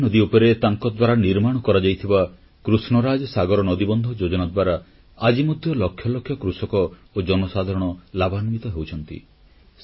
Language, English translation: Odia, Lakhs of farmers and common people continue to benefit from the Krishna Raj Sagar Dam built by him